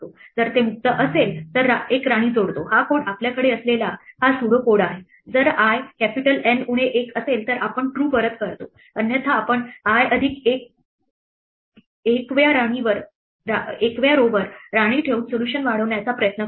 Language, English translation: Marathi, If it is free then we add a queen this is exactly the code that pseudo code we had if, i is N minus 1 we return true otherwise we try to extend the solution by placing a queen at i plus 1th row